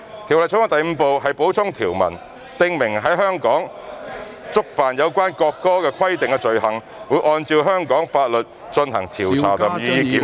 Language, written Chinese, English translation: Cantonese, 《條例草案》第5部是"補充條文"，訂明在香港觸犯有關國歌的規定的罪行，會按照香港法律進行調查及予以檢控。, Part 5 of the Bill is Supplementary Provisions which provides that offences in relation to the national anthem in Hong Kong are investigated and persons are prosecuted according to the laws of Hong Kong